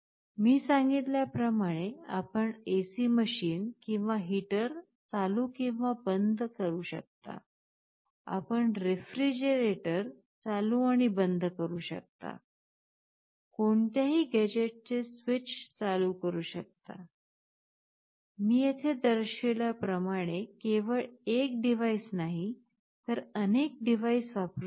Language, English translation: Marathi, You can switch ON and OFF an AC machine or a heater as I told, you can switch ON and OFF a refrigerator, you can switch ON a switch of any gadget not only one device as I have shown here you can have multiple such devices